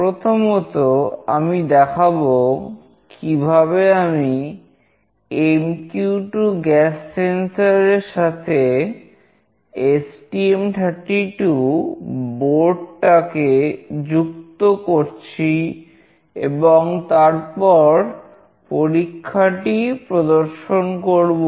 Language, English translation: Bengali, Firstly, I will show you how I will be interfacing the MQ2 gas sensor to the STM32 board, and then I will demonstrate the experiment